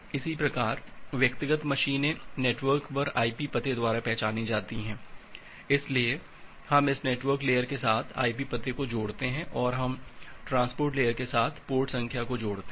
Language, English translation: Hindi, Similarly individual machines at the network that are identified by the IP address, so we bind the IP address with this network layer and we bind the port number with the transport layer